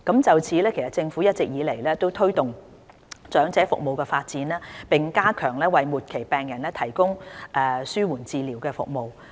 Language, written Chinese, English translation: Cantonese, 就此，政府一直致力推動長者服務的發展，並加強為末期病人提供的紓緩治療服務。, In this context the Government recognizes the need to promote the development of services for the elderly particularly to strengthen palliative care services for persons facing terminal illness